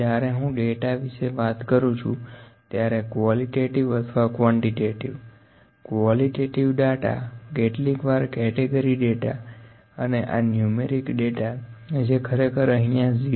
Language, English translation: Gujarati, When I talk about data, qualitative or quantitative; the qualitative data is also known as sometime it is categorical data actually yeah categorical data and this is numeric data this is actually already mentioned in 0